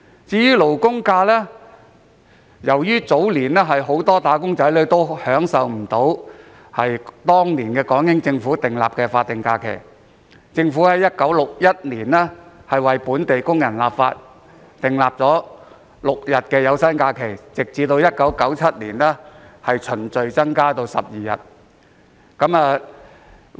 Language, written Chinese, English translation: Cantonese, 至於"勞工假"，由於早年很多"打工仔女"未能享有當時港英政府訂立的法定假期，政府便在1961年立法，讓本地工人享有6日有薪假期，有關假期在1997年後逐漸增至12日。, As for labour holidays since many wage earners were unable to enjoy the statutory holidays designated by the British Hong Kong Government in the early years the Government enacted legislation in 1961 to enable local workers to enjoy 6 days of paid leave and the relevant holidays were gradually increased to 12 days after 1997